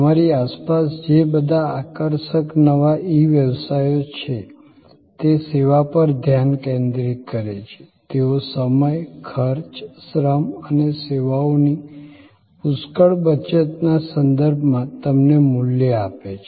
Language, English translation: Gujarati, Look around you, all these fascinating new e businesses, they focus on service, they bring to you a value in terms of savings of time, cost, labour and a plethora of services